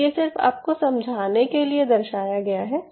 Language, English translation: Hindi, so this is just for your understanding sake